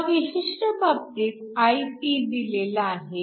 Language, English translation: Marathi, In this particular case, Ip is given